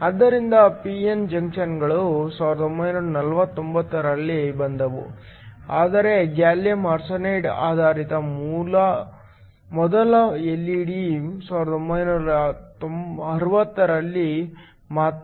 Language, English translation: Kannada, So, p n junctions came in 1949, but the first LED based on gallium arsenide was only in the 1960